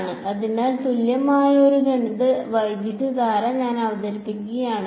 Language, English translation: Malayalam, So, if I introduce a mathematical current which is equal to